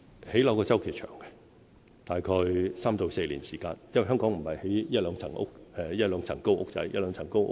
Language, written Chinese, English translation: Cantonese, 興建房屋的周期長，大概3至4年時間，因為我們不是興建一兩層高的小屋。, The lead time for housing development is long . It takes about three to four years as we are not building one - storey or two - storey small houses